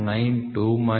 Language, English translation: Kannada, 92 minus 39